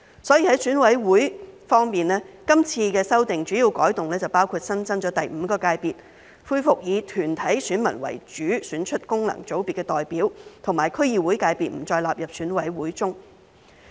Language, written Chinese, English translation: Cantonese, 所以，在選委會方面，今次修訂的主要改動包括新增第五界別，恢復以團體選民為主，選出功能界別的代表，以及區議會界別不再納入選委會中。, Therefore in terms of EC the major changes in this amendment exercise include the creation of a new Fifth Sector the restoration of corporate voters as the main voters in electing representatives from functional constituencies and the removal of the District Council subsectors from EC